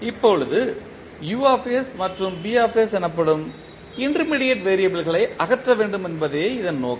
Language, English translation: Tamil, Now, the objective is that we need to eliminate the intermediate variables that is U and B